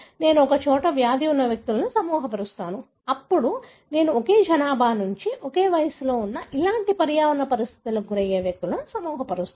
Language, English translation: Telugu, I group individuals having the disease in one basket, then I group individuals who are from the same population, who are of the same age group, who are exposed to similar environmental condition